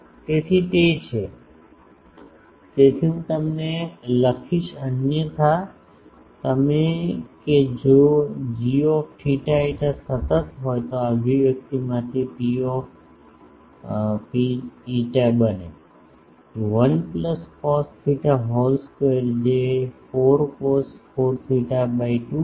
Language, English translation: Gujarati, So, that is so, I will rather write otherwise you that if g theta phi constant then P rho phi from this expression becomes, 1 plus cos theta whole square which is 4 cos 4 theta by 2